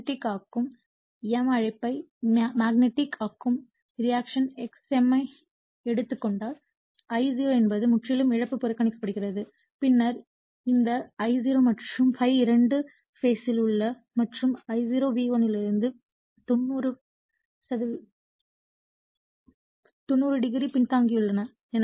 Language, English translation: Tamil, And if you take the magnetizing m call magnetizing reactance right x m then you will see that I0 is purely I mean loss is neglected then this I0 and ∅ both are in phase and lagging from V1 / 90 degree